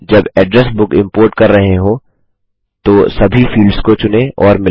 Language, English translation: Hindi, Select and match all the fields while importing the address book